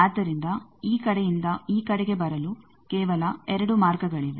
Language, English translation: Kannada, So, only there are two paths for coming from this side to this side